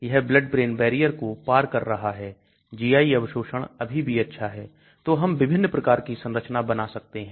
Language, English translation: Hindi, It is BBB penetrating GI absorption is still good so we can draw different types of structures